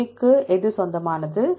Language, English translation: Tamil, Which one belongs to A